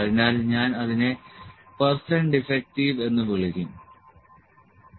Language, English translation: Malayalam, So, I will call it percent defective, ok